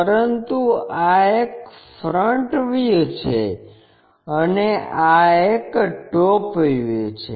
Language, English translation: Gujarati, But, this one is front view and this one is top view